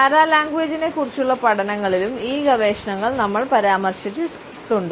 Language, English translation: Malayalam, We have referred to these researchers in our studies of paralanguage also